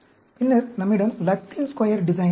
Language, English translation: Tamil, Then, we have the Latin Square Design